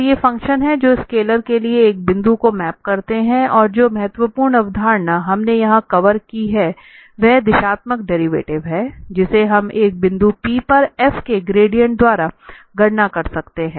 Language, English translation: Hindi, So, these are the functions that map a point to a scalar and the important concept which we have covered here, that is the directional derivative, which we can compute just by the gradient of f at a point P